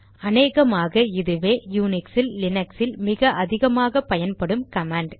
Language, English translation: Tamil, For this we have the ls command which is probably the most widely used command in Unix and Linux